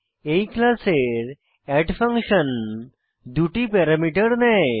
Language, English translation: Bengali, The add function of this class takes two parameters